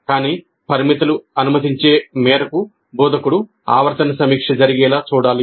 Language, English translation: Telugu, But the extent that the constraints permit instructor must ensure that periodic review happens